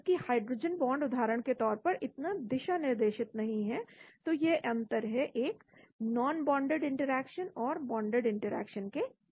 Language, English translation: Hindi, Whereas, hydrogen bond for example, is not so directional so that is the difference between a non bonded interaction and a bonded interaction